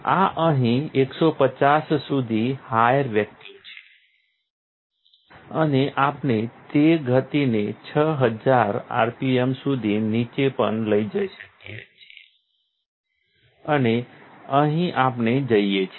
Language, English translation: Gujarati, This is up to 150 over here, higher vacuum and we have also headed that speed down to 6000 rpm and here we go